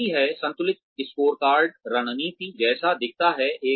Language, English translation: Hindi, This is what, balanced scorecard strategy, looks like